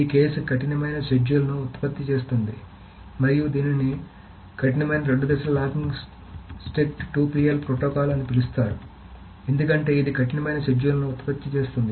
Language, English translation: Telugu, So this case called it produces strict schedules and that is why you can see that why it is called a strict two phase locking protocol because it produces the strict schedules